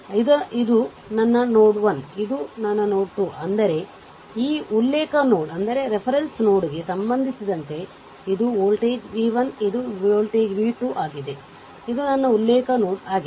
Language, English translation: Kannada, So, this is my node 1, this is my node 2; that means, my this voltage is v 1 this voltage v 2 with respect to this reference node, this is my reference node